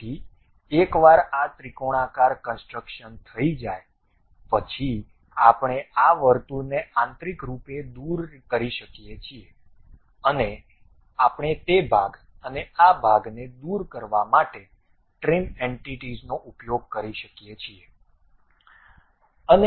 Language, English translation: Gujarati, So, once it is done this triangular construction, we can internally remove this circle and we can use trim entities to remove that portion and this portion also